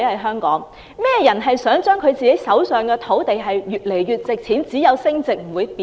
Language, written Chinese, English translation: Cantonese, 甚麼人想自己手上的土地越來越值錢，只有升值不會貶值？, Who want the land they owned to become increasingly valuable that it will only appreciate but never depreciate in value?